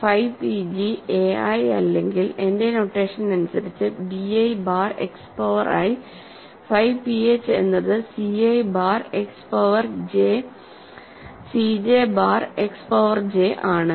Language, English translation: Malayalam, So, phi p g is a i or in my notation b i bar X power I, phi p h is c i bar X power j c j bar X power j